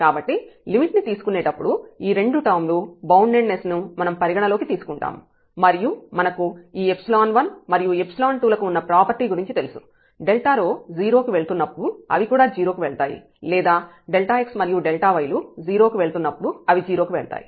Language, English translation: Telugu, So, when taking the limit, so we observe because of the boundedness of these 2 terms and we know the properties of these epsilon 1 and epsilon 2 that they go to 0 as delta rho goes to 0 means delta x go to 0 delta y go to 0